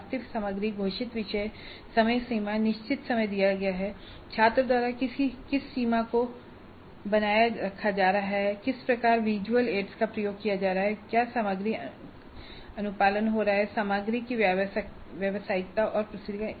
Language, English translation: Hindi, And then the actual content itself, the topics announced the timeframe given certain amount of time to what extent the timeframe is being maintained by the student, then what kind of visual aids are being used, then whether the content compliance is happening and professionalism of content and presentation